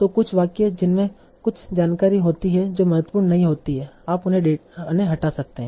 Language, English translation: Hindi, So some sentences that contains some information that is not important, you can remove that